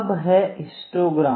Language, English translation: Hindi, So, next is this histogram